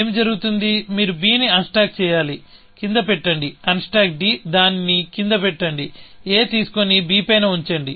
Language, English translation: Telugu, What happens; you have to unstack b, put it down; unstack d, put it down; pick up a, put it on to b